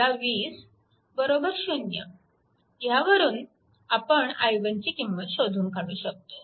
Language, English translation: Marathi, So, from that we can find out what is i 1